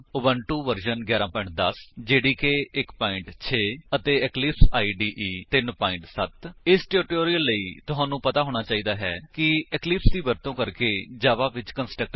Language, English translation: Punjabi, Here we are using: Ubuntu version 11.10 Java Development Environment jdk 1.6 And Eclipse IDE 3.7.0 To follow this tutorial, you must know how to create a constructor in Java using Eclipse